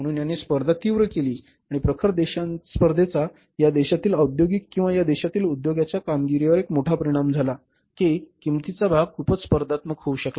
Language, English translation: Marathi, So, it has intensified competition and intensified competition has one major impact upon the industrial or industries performance in this country or firm's performance in this country that the cost part is very very say you can call it as competitive